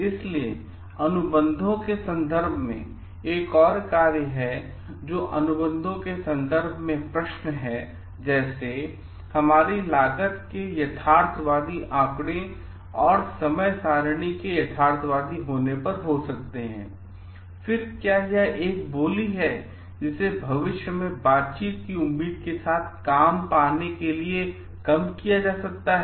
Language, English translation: Hindi, So, in terms of contracts, there is another functions which is in terms of contracts like questions may come up with realistic to our cost figures and time schedules realistic, then is it a bid which is made low to get the job with the hope of feature negotiating